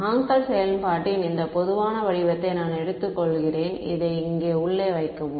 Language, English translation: Tamil, Supposing I take this most general form of Hankel function and put inside over here